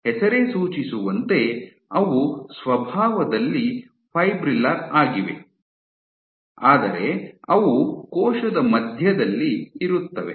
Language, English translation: Kannada, As the name suggests their fibrillar in nature, but they are present central, centrally towards the center of the cell